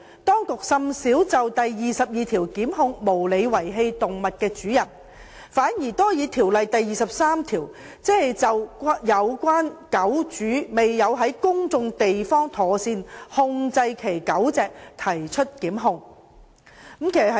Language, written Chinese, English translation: Cantonese, 當局甚少引用該條文檢控無理遺棄動物的主人，反而較多引用《條例》第23條，就有關狗主未有在公眾地方妥善控制其狗隻，提出檢控。, The authorities rarely cite the provision to prosecute owners who unreasonably abandon animals . Instead section 23 of the Ordinance is more often cited to prosecute owners who fail to keep their dogs under control in a public place